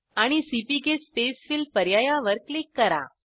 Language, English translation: Marathi, And click on CPK Spacefill option